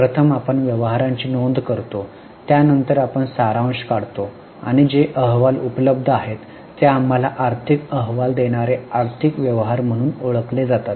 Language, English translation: Marathi, First we record transactions, then we summarize and the reports which are available are known as financial transactions giving us the financial reports